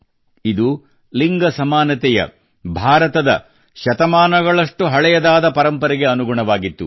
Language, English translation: Kannada, This was in consonance with India's ageold tradition of Gender Equality